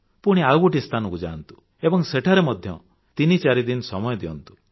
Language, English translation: Odia, Go to a destination and spend three to four days there